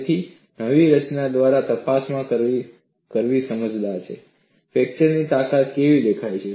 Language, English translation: Gujarati, So, it is prudent to check by the new formulation, how does the fracture strength look like